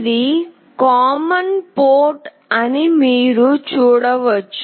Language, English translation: Telugu, You can see this is the common port